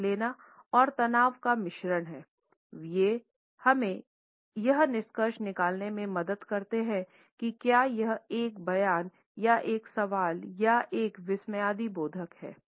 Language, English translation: Hindi, Intonation and a stress blend together; they help us to conclude whether it is a statement or a question or an exclamation